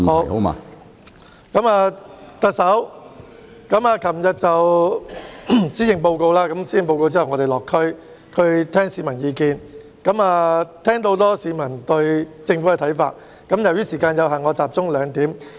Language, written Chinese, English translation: Cantonese, 特首昨天發表施政報告後，我們到地區聆聽市民意見，聽到很多市民對政府的看法，由於時間有限，我集中提出兩點。, After the Chief Executives delivery of the Policy Address yesterday we visited the districts to gauge public opinion and received many views from the public on the Government . Due to the time constraint I would focus on two points